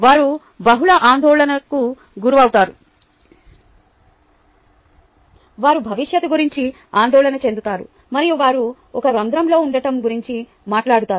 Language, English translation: Telugu, they suffer multiple anxieties, they worry about the future and they talk about being in a hole